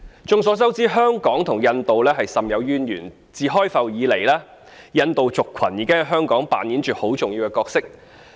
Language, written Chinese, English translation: Cantonese, 眾所周知，香港與印度甚有淵源，自開埠以來，印度族群已在香港擔當着很重要的角色。, As we all know Hong Kong has a long - standing tie with India . Since the inception of Hong Kong as a port the Indian community has been playing an important role in Hong Kong